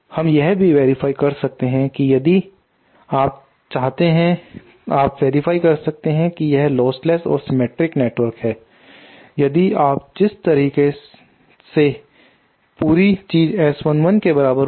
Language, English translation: Hindi, From this we can also verify you know that if you want you know you can verify that since this is the lostless and this is a reciprocal network if you by the way this whole thing will be equal to S 1 1